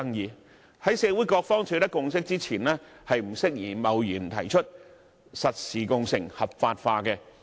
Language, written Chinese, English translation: Cantonese, 因此，在社會各方取得共識前，香港並不適宜貿然提出實時共乘合法化。, Hence Hong Kong should not hastily legalize real - time car - sharing before a consensus is forged among the different parties in the community